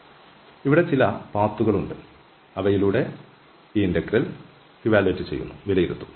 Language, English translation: Malayalam, So, there is some path here, where we are evaluating this line integral